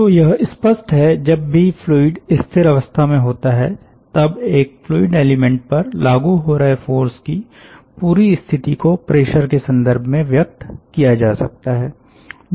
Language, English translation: Hindi, so obviously, whenever there is a fluid at rest, the entire situation of the forcing which is there on a fluid element may be expressed in in terms of pressure when the fluid is moving